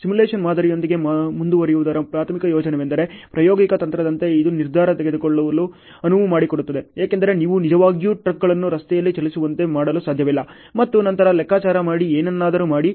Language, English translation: Kannada, The primary advantage of going ahead with the simulation model is, as an experimental technique is, it allows decision making because you cannot really make a trucks move on the road and then calculate and do something